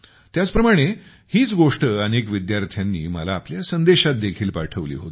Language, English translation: Marathi, A similar thought was also sent to me by many students in their messages